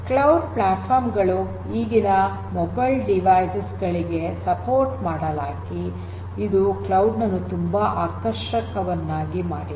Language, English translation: Kannada, Cloud platforms are supported by the present day mobile devices that also makes cloud very attractive